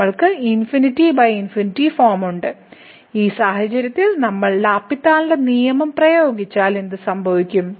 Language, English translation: Malayalam, So, we have the infinity by infinity form and in this case if we simply apply the L’Hospital’s rule what will happen